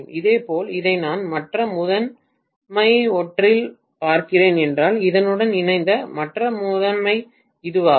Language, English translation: Tamil, Similarly, if I am looking at this as one of the other primary this is the other primary which is coupled to this